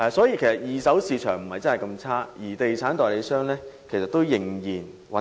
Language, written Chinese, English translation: Cantonese, 因此，二手市場並不是那麼差，地產代理商依然可以維生。, Therefore the secondary property market is not that gloomy and estate agents can still make a living